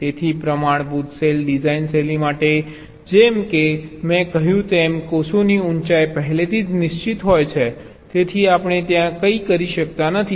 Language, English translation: Gujarati, so for standard cell design style, as i have said, the heights of the cells are already fixed, so we cannot do anything there